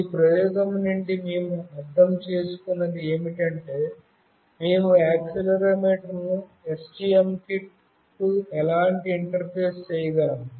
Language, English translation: Telugu, From this experiment, what we have understood is that how we can interface the accelerometer to the STM kit